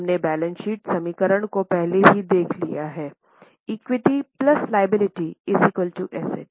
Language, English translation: Hindi, We have already seen the balance sheet equation that equities plus liabilities is equal to assets